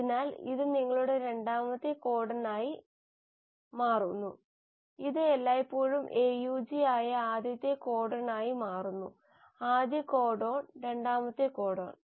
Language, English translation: Malayalam, So this becomes the second codon, this becomes the first codon which is always AUG; first codon, second codon